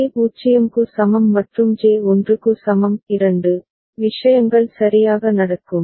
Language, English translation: Tamil, For J is equal to 0 and J is equal to 1; two things will happen ok